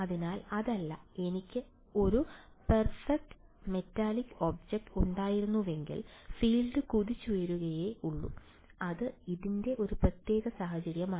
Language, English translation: Malayalam, So, it is not, if I had a perfect metallic say object, then the field will only bounce of that is a special case of this